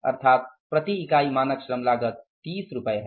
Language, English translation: Hindi, Standard unit labor cost is rupees 30